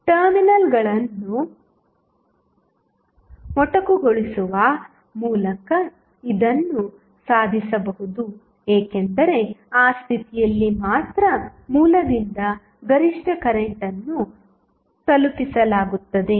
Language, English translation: Kannada, It will be achieved simply by sorting the terminals because only at that condition the maximum current would be delivered by the source